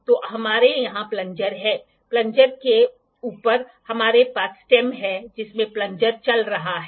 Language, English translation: Hindi, So, we have plunger here, above the plunger we have stem in which the plunger is moving